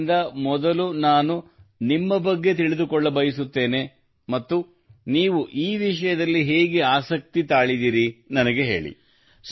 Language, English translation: Kannada, So, first I would like to know something about you and later, how you are interested in this subject, do tell me